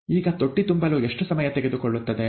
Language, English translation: Kannada, Now, how long would it take to fill the tank, right